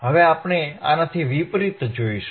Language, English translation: Gujarati, Now we will do the reverse of this,